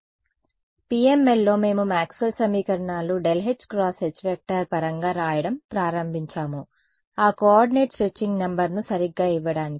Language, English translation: Telugu, So, putting into PML ok; so, in PML what are we started writing the Maxwell’s equations in terms of del h to give that coordinate stretching number right